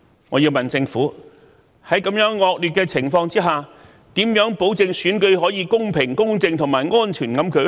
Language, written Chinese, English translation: Cantonese, 我要問政府，在這樣惡劣的情況下，如何保證選舉可公平、公正和安全地舉行？, I would like to ask the Government How can it ensure that the DC Election can be held in a fair just and safe manner under such extremely unfavourable circumstances?